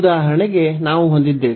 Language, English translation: Kannada, So, for instance we have